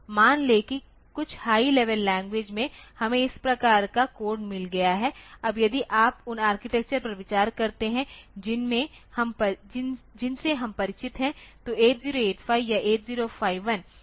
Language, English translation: Hindi, Suppose in some high level language we have got this type of code, now if you consider the architectures that we are familiar with so, far 8085 or 8051